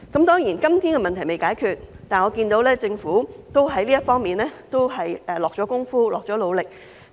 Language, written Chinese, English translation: Cantonese, 當然，今天問題尚未解決，但我看到政府在這方面已下了工夫和努力。, Of course the problem has not yet been solved today but I can see that the Government has made efforts and worked hard in this regard